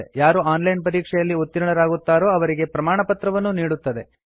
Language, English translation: Kannada, We also give certificates to those who pass an online test